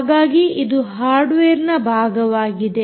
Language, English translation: Kannada, so this is part of this hardware